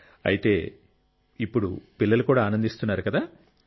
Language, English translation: Telugu, So now even the children must be happy